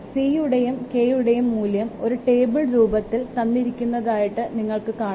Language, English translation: Malayalam, You can see the value of C and K, I have already given you a table